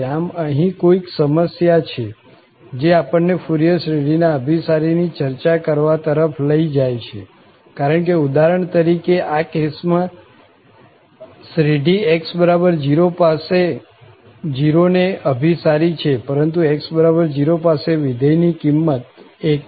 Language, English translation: Gujarati, So, there are some issues which now lead us to more discussion on this convergence of the Fourier series because for instance, in this case, the series converges to 0 at x equal to 0, whereas the function value is 1 at this x equal to 0